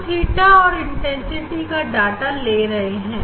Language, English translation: Hindi, theta versus the intensity that data we will get